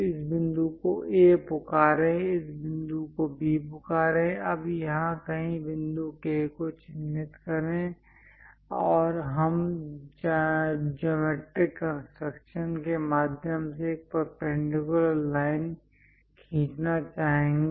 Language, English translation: Hindi, Call this point A, call this point B; now mark a point K somewhere here, and we would like to draw a perpendicular line through geometric construction